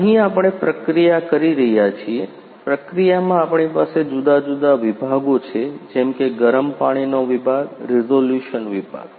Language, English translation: Gujarati, Here we have we are processing; in processing we are having different sections like hot water section resolution section